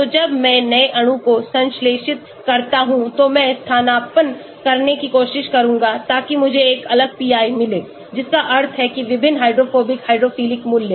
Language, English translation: Hindi, So, when I synthesize new molecules I will try to substitute so that I get a different pi, that means different hydrophobic hydrophilic values